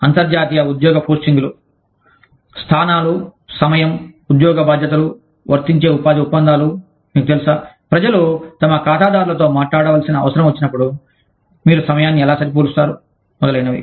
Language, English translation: Telugu, International job postings locations, timing, job responsibilities, applicable employment contracts, you know, how do you match the time, when people need to talk to their clients, etcetera